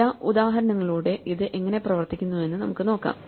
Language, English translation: Malayalam, Let us just see how this works through some examples right